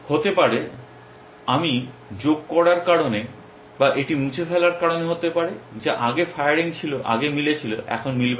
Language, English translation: Bengali, May be, if I have because of adding this may be because of deleting this some rule which was firing matching earlier will not match now